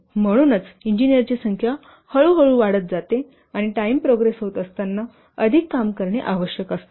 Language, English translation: Marathi, That's why the number of engineers slowly increases and reaches as the peak as the time progresses as more number of work is required